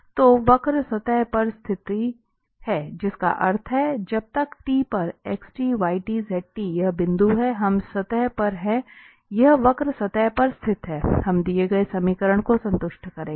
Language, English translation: Hindi, So, the curve lies on the surface that means, these point xt, yt, zt for any t as long as we are on the surface this curve lies on the surface, this will satisfy the given equation